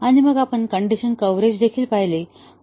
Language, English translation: Marathi, And then, we had also looked at condition decision coverage